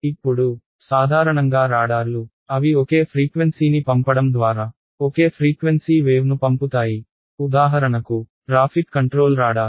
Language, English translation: Telugu, Now, typically radars, they send a single frequency wave right its sending a single frequency, let us say our air traffic control radar